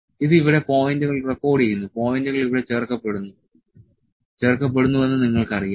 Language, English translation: Malayalam, It is recording the points here, you know the points are being added here